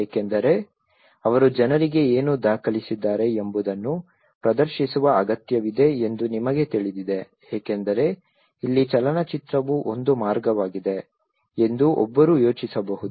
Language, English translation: Kannada, Because you know one need to showcase that what they have documented to the people this is where a film is one approach one can think of